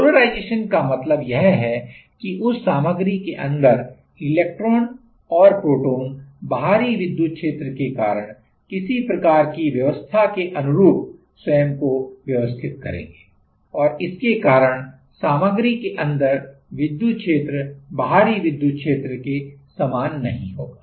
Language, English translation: Hindi, Polarization means that the electrons and protons inside that material will arrange themselves by some kind of arrangement by some due to the external electric field and, because of that the electric field inside the material will not be same as the external electric field